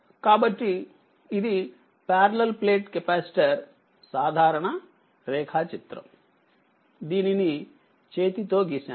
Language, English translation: Telugu, So, this is a parallel plate capacitor simple diagram, I have drawn it by hand only right